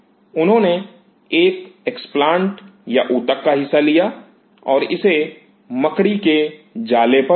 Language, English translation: Hindi, He took a explants or part of the tissue and grew it on a spider net